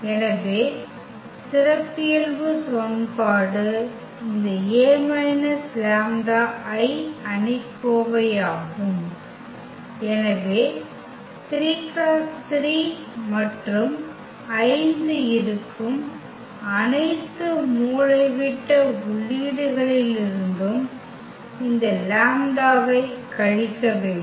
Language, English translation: Tamil, So, the characteristic equation will be determinant of this a minus lambda I, so we have to subtract this lambda from all the diagonal entries which is 3 3 and 5 there